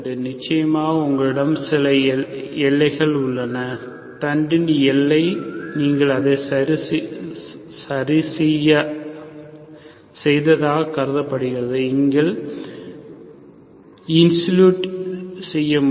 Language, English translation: Tamil, Of course you have some boundary, boundary of the plate is assumed that you fixed it, you say insulated